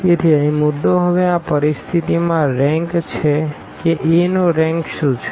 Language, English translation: Gujarati, So, the point here is now the rank in this situation what is the rank of A